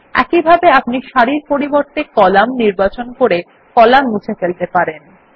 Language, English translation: Bengali, Similarly we can delete columns by selecting columns instead of rows